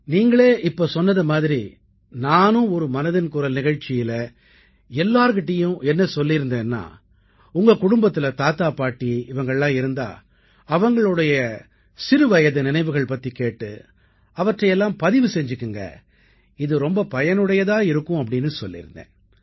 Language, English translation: Tamil, And as you said, once in Mann Ki Baat I too had asked you all that if you have grandfathergrandmother, maternal grandfathergrandmother in your family, ask them of stories of their childhood and tape them, record them, it will be very useful, I had said